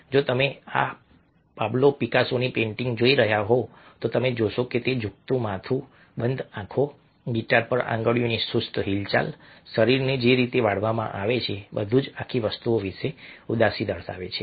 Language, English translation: Gujarati, if you are looking at this, a painting by picasso, you find that a, the drooping head, the closed eyes, the language, movement of the fingers on the guitar, the, the way that the body is folded, everything suggests sadness about the entire thing